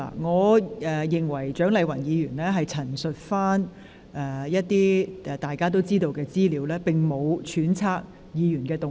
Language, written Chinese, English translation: Cantonese, 我認為蔣麗芸議員只是陳述一些大家已知的資料，並無揣測議員的動機。, I think Dr CHIANG Lai - wan was only presenting some information that Members already knew without speculating the motives of any Member